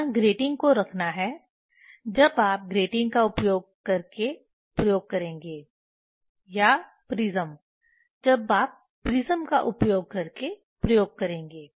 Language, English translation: Hindi, This prism place the grating when you will do the experiment using grating or prism when you will do the experiment using prism